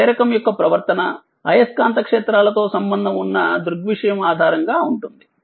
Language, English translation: Telugu, The behavior of inductor is based on phenomenon associated with magnetic fields